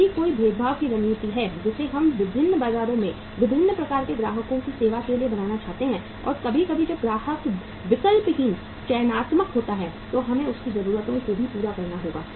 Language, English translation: Hindi, If there is a differentiation strategy that we want to create serve the different markets different types of the customers and sometime when the customer is choosy, selective, we have to serve his needs also